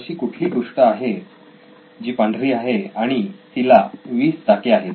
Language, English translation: Marathi, What is white and has 20 wheels